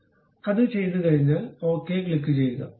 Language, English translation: Malayalam, So, once it is done, click ok